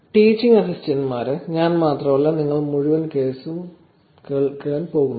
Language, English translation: Malayalam, Teaching Assistants, it is not going to be just me, you are not going to just listen to me over the entire course